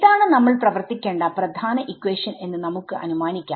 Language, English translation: Malayalam, So, this is let us assume that this is the main equation that we have to work with